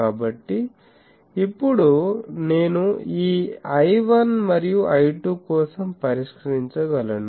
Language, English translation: Telugu, So, now, I can solve for this I 1 and I 2